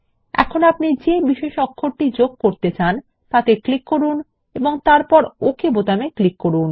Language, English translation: Bengali, Now click on any of the special characters you want to insert and then click on the OK button